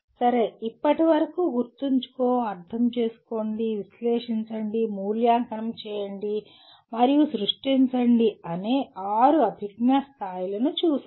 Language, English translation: Telugu, Okay, till now we have looked at the six cognitive levels namely Remember, Understand, Analyze, Evaluate and Create